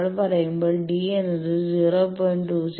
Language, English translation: Malayalam, So, when we are saying that d is equal to 0